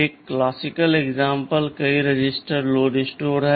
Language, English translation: Hindi, OSo, one classical example is multiple register load store